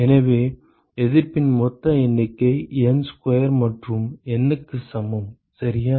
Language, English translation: Tamil, So, the total number of resistances are N square plus N alright